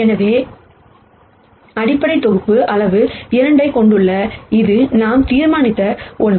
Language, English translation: Tamil, So, the basis set has size 2, is something that we have determined